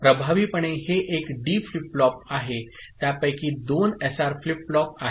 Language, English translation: Marathi, Effectively this one is D flip flop, it is two of them are SR flip flop